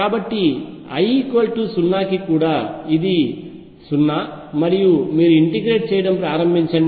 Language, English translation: Telugu, So, even for l equals 0 it is 0 and you start integrating out